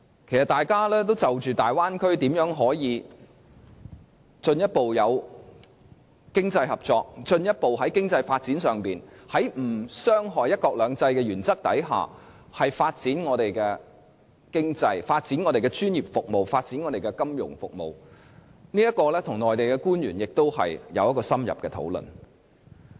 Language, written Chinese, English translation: Cantonese, 其實，我們當時也是就着如何在大灣區做到進一步經濟合作，以及在不傷害"一國兩制"的原則下，如何進一步發展我們的經濟、專業服務和金融服務，與內地官員進行了深入討論。, We have indeed carried out in - depth discussions with Mainland officers about the greater economic cooperation in the Bay Area and about how we can further develop our economy professional services and the financial services in the area without compromising the principle of one country two systems